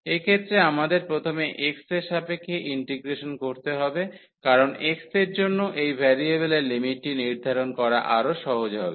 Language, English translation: Bengali, So, in this case we have to consider first the integration with respect to x because it is easier to set this variable limits for x